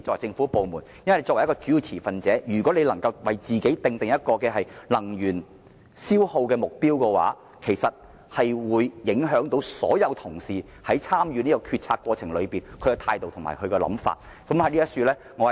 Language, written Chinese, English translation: Cantonese, 政府作為主要持份者，如能以身作則訂定節能目標的話，將會影響所有同事在參與這項決策過程中的態度和想法。, If the Government as the main stakeholder can take the lead by setting energy saving targets the attitude and views of all Honourable colleagues taking part in the decision making process will be influenced